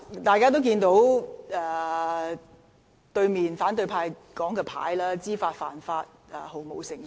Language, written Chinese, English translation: Cantonese, 大家也看到，坐在對面席的反對派議員的展示牌寫上"知法犯法、毫無誠信"。, As we can see the opposition Members sitting across the aisle have put up placards reading Breaking the law deliberately devoid of any integrity